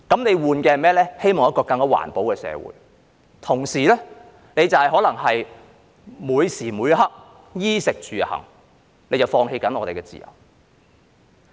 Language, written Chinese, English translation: Cantonese, 是一個更環保的社會，但同時可能在每時每刻的衣食住行方面放棄我們的自由。, A greener society but at the same time we may be giving up our freedom in every moment of our lives in all aspects be it food clothing housing and transportation